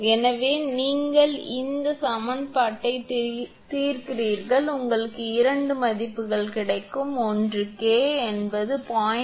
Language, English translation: Tamil, Therefore, you solve this equation, you will get two values, one will be K is equal to 0